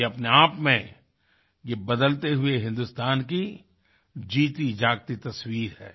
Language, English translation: Hindi, This in itself presents the live and vibrant image of a changing India